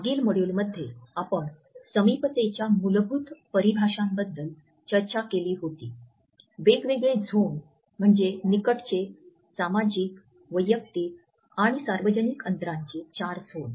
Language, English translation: Marathi, In the previous module we had discussed the basic definitions of Proxemics, what are the different zones namely the four zones of intimate social, personal and public distances